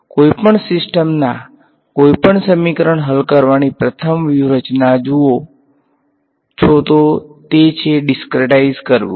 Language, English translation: Gujarati, As with any system of any equation that you see the first strategy to solve it is to discretize it